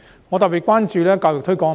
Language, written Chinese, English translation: Cantonese, 我特別關注教育推廣問題。, I am particularly concerned about the education and publicity issue